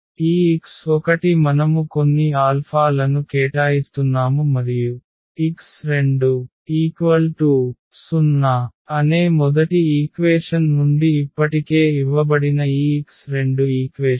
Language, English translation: Telugu, So, this x 1 we are assigning some alpha for instance and this x 2 equation that is already given from the first equation that x 2 is 0